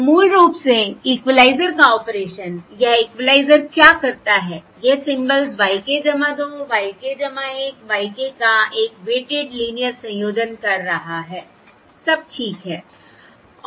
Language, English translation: Hindi, it is performing a weighted linear combination of the symbols y k plus 2, y k plus 1 y k, all right